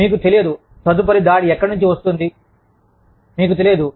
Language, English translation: Telugu, You do not know, where the next attack is coming from